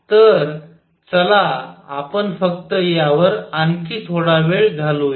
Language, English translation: Marathi, So, let us just spend some more time on this